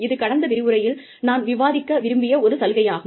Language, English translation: Tamil, One of the benefits that, I would have liked to cover, in the last lecture